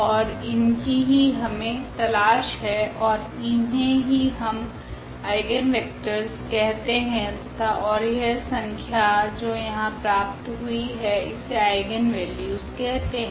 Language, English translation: Hindi, And, that is what we are looking for and these are called actually the eigenvectors and this number which has come here that will be called as eigenvalues